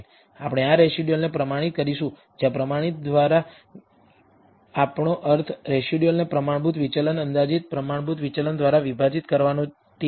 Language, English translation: Gujarati, We will standardize these residuals, where what we mean by standardization is to divide the residual by it is standard deviation estimated standard deviation